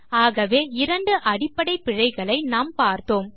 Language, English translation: Tamil, So thats two basic errors that we have covered